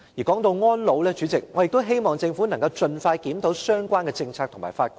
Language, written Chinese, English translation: Cantonese, 說到安老，主席，我希望政府能盡快檢討相關政策和法規。, Speaking of elderly care President I hope the Government can expeditiously review the relevant policies rules and regulations